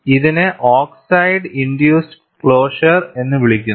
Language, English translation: Malayalam, And this is called, oxide induced closure